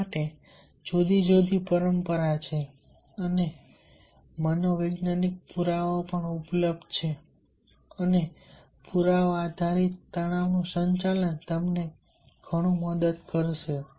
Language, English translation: Gujarati, tradition and scientific, scientific evidences are available and evidence based management of stress will help you a lot